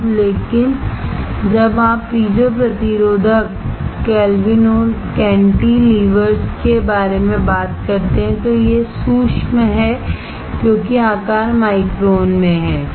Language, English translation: Hindi, Now, but when you talk about piezo resistive cantilevers (Refer Time: 48:53)it is micro because the size is microns